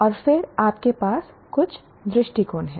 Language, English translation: Hindi, And then you have points of view